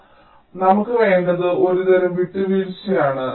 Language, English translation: Malayalam, so what we need is some kind of a compromise